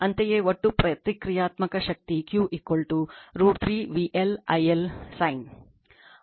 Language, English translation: Kannada, Similarly, total reactive power is Q is equal to root 3 V L I L sin theta